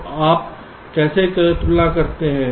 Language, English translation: Hindi, so how do you compare